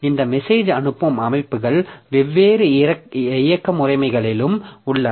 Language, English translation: Tamil, So, this message passing systems are also there in different operating systems